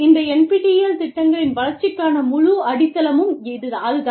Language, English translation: Tamil, That is the whole basis, the whole foundation, for the development of these, NPTEL programs